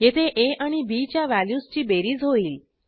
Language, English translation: Marathi, Here the values of a and b are added